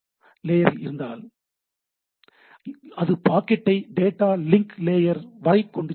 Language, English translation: Tamil, If there is layer 2 switch, it can open the packet up to the data link layer, right